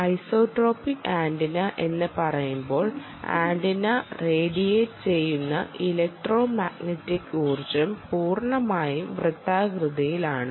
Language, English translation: Malayalam, when you say isotropic antenna, the electromagnetic energy which is radiated by the antenna is circular, ok, is completely circular